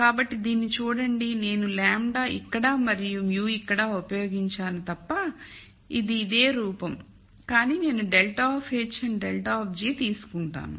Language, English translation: Telugu, So, look at this, this is the same form of as this except that I used lambda here and mu here, but I take a take a grad of h and grad of g